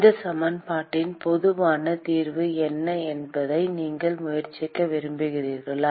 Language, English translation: Tamil, What is the general solution of this equation, you want to try